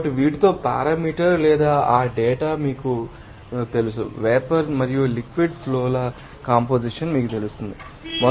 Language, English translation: Telugu, So, with these you know that parameters or you know that data you can find out what should be you know composition of the vapor and liquid streams